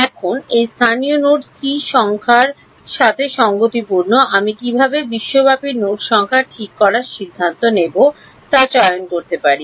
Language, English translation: Bengali, Now corresponding to these local node numbers, I get to choose how to decide to fix the global node numbers ok